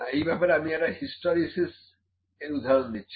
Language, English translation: Bengali, I can put an example for hysteresis